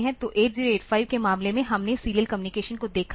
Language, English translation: Hindi, So, in case of 8085 we have seen the serial communication